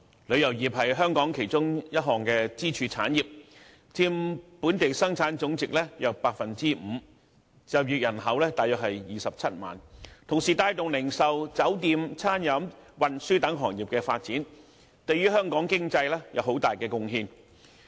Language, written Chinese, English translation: Cantonese, 旅遊業是香港其中一項支柱產業，佔本地生產總值約 5%， 就業人口約為27萬；旅遊業同時亦帶動零售、酒店、餐飲和運輸等行業的發展，對香港經濟有很大貢獻。, As one of the pillar industries in Hong Kong the tourism industry contributes about 5 % to our GDP and employs about 270 000 people . Moreover tourism has been driving the development of many Hong Kong industries such as retail hotel food and beverages and transport